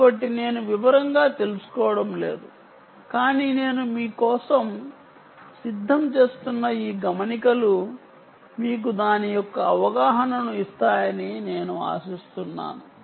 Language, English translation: Telugu, ok, so i am not getting into detail, but i expect that this notes, which i am preparing for you, will actually give you the understanding of it